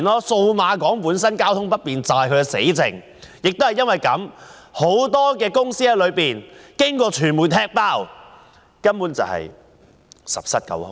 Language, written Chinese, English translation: Cantonese, 數碼港交通不便便是死症，亦由於這個原因，傳媒已"踢爆"很多商鋪根本是十室九空。, The incurable problem of the Cyberport is inconvenient transportation and this is why as revealed by the media the shops therein are almost completely vacant